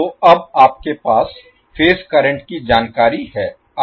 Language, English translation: Hindi, So now you have the phase current information